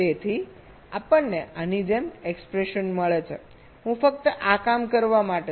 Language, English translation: Gujarati, so we get an expression like this i am just to working this out